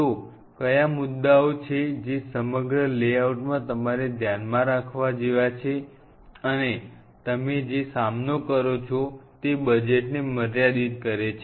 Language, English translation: Gujarati, So, what are the points which has to be kind of kept in mind in the whole layout and the budget constraints what you face